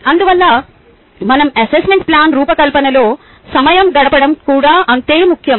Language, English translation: Telugu, hence, its equally important for us to spend time designing our assessment plan